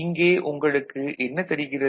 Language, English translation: Tamil, So, what you will see here